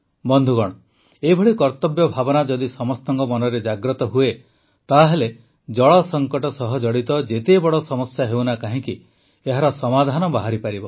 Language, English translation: Odia, Friends, if the same sense of duty comes in everyone's mind, the biggest of challenges related to water crisis can be solved